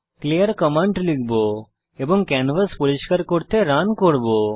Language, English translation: Bengali, Type clear command and Run to clean the canvas